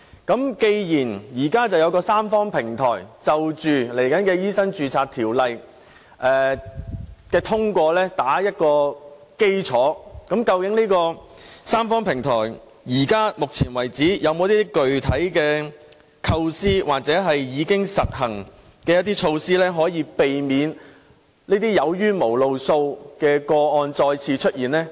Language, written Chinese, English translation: Cantonese, 既然現時有三方平台，為日後通過修訂《醫生註冊條例》打下基礎，究竟三方平台到目前為止有否具體構思或已經實行的措施，可避免這些"有冤無路訴"的個案再次出現呢？, Given that now the Tripartite Platform has been put in place to lay the foundation for the passage of the amendments to MRO in the future has the Tripartite Platform actually come up with any specific ideas or implemented any measures to avoid the recurrence of such cases for which there seems to be no avenue of redress?